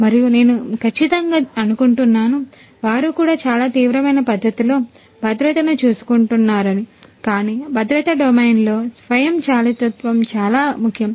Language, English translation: Telugu, And I am sure they are also taking care of safety in a very serious manner, but you know automation in the safety domain is very important